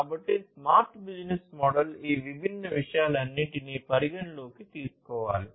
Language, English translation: Telugu, So, a smart business model will need to take into consideration all of these different things